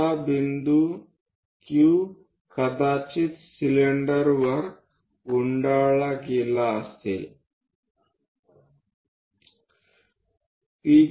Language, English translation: Marathi, Now, point Q might be getting winded up on the cylinder